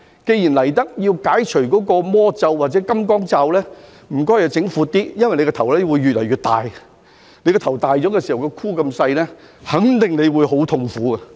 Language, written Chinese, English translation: Cantonese, 既然來到這處解除魔咒或金剛罩，那麼請他們做闊一點，因為他們的頭只會越來越大，當頭大而頭箍小的時候，我肯定這會是很痛苦的。, Since they have come here to break the magic spell or the restraining headband I urge them to make a larger one for their head will only grow increasingly larger and I am sure it will be very painful when the head is big but the headband is small